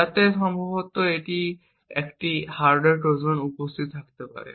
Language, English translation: Bengali, So, it is in this region that a hardware Trojan is likely to be present